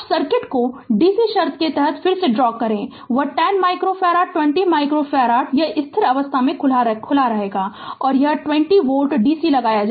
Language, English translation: Hindi, Now, we will we will redraw the circuit right under dc condition that that 10 micro farad 20 micro farad it will be open at steady state right; and 20 volt dc is applied